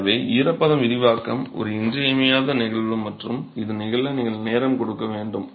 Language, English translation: Tamil, So, moisture expansion is an essential phenomenon and has to, you have to give time for this to occur